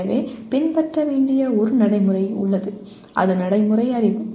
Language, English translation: Tamil, So there is a procedure to be followed and that is procedural knowledge